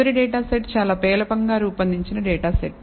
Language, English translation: Telugu, The last data set is a very poorly a designed data set